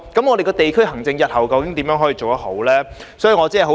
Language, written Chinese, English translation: Cantonese, 我們的地區行政日後究竟如何才能做得好呢？, So how can we do a proper job in district administration in the future?